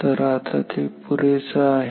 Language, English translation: Marathi, So, for now it is enough that